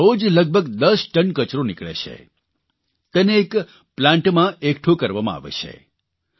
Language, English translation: Gujarati, Nearly 10tonnes of waste is generated there every day, which is collected in a plant